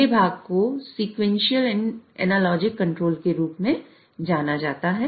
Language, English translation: Hindi, So, the first part is known as a sequential and logic control